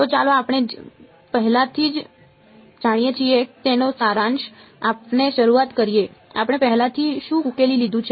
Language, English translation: Gujarati, So, let us sort of start by summarizing what we already know ok, what are we already solved